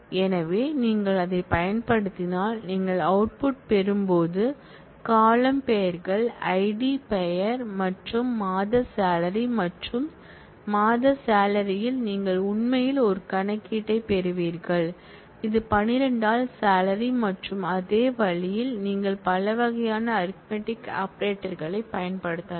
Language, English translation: Tamil, So, if we if you use that then, when you get the output you will get the column names are ID, name and monthly salary and in monthly salary you will actually have a computation, which is salary by 12 and in the same way, you can use multiple different kinds of arithmetic operators